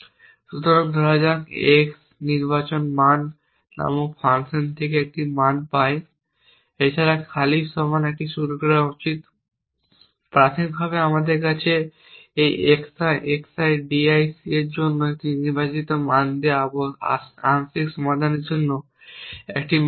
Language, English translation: Bengali, So, let say x gets a value from a function called select value I should also initialize a equal to empty initially I do not have a value for the partial solution given a select value for this x i x i d i c